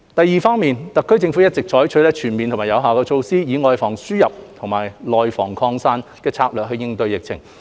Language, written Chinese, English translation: Cantonese, 二特區政府一直採取全面有效的措施，以"外防輸入、內防擴散"的策略應對疫情。, 2 Adopting the strategy of guarding against the importation of cases and the resurgence of domestic infections the HKSAR Government has been taking comprehensive and effective measures to combat the epidemic